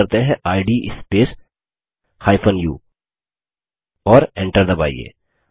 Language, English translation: Hindi, Let us type the command, id space u and press enter